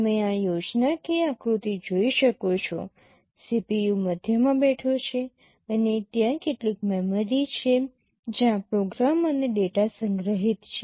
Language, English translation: Gujarati, You can see this schematic diagram, the CPU is sitting in the middle and there are some memory where program and the data are stored